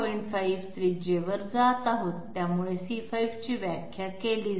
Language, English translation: Marathi, 5 radius, so that way C5 is defined